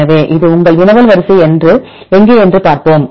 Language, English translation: Tamil, So, this is a result let us see where your query sequence